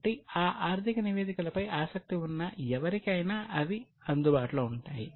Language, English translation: Telugu, So, they are available for anybody who is interested in those financial statements